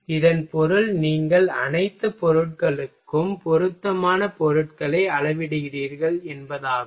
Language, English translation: Tamil, It means you are scaling the all materials suitable materials ok